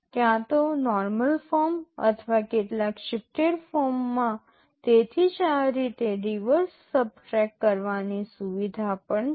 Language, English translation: Gujarati, Either in the normal form or in some shifted form that is why this reverse subtract facility is also there